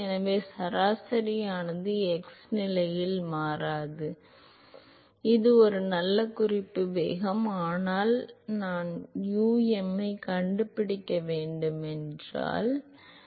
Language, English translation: Tamil, So, the average does not change with x position and so, it is a good reference velocity, but if you need to find um you need to know what u is